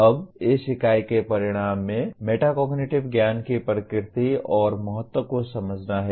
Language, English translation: Hindi, Now this unit the outcome is understand the nature and importance of metacognitive knowledge